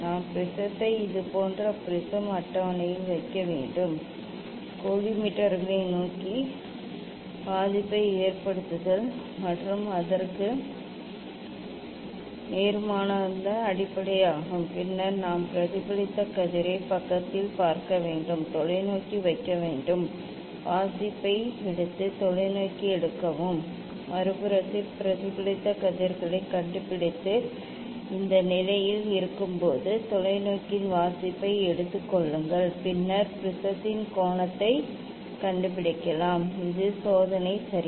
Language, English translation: Tamil, We have to put the prism on the prism table like this ok, keeping affects towards the collimators and opposite to that one is base And then we have to see the reflected ray in the side, put the telescope, take the reading and take the telescope in other side, find out the reflected rays and take the reading of the telescope when it is at this position And, then we can find out the angle of the prism; this is the experiment ok